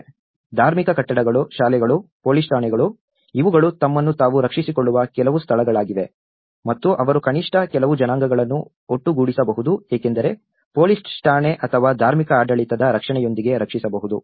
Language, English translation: Kannada, Because the religious buildings, the schools, the police stations, these are some place where they can protect themselves and they can gather at least certain ethnic group can be protected with the protection of police station or the religious governance